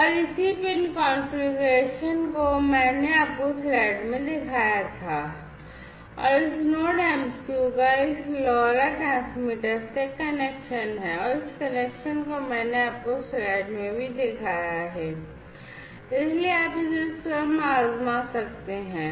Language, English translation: Hindi, And the corresponding pin configuration I had shown you in the slide, and from this Node MCU, there is a connection to this LoRa transmitter, and this connection also I have shown you in the slide, so you can try it out yourselves